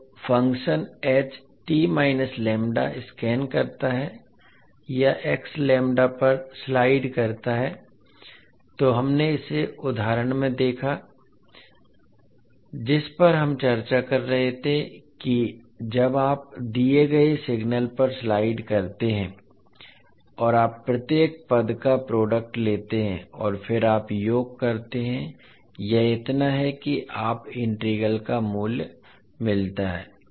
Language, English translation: Hindi, Now the functions h t minus lambda scans or slides over h lambda, so this what we saw in the example which we were discussing that when you slide over the particular given signal and you take the product of each and every term and then you sum it up so that you get the value of integral